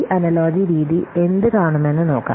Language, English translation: Malayalam, So let's see what we'll see this analogy methodology